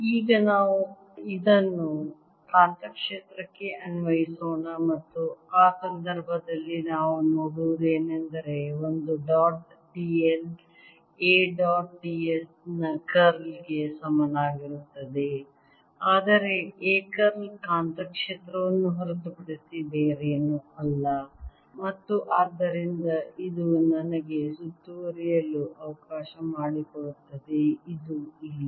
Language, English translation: Kannada, let us now apply this to the magnetic field and in that case what we will see is that a dot d l is equal to curl of a dot d s, but curl of a is nothing but the magnetic field and therefore this s let me enclose this here